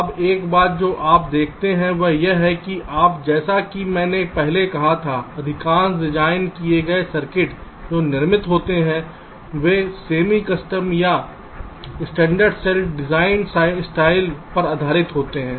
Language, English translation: Hindi, now, one thing you observe is that today, as i had said earlier, most of the well assigned circuits that are that are manufactured, they are based on the semi custom or the standard cell designed style